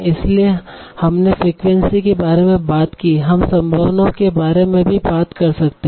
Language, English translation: Hindi, So we talked about frequency, we can also talk about probability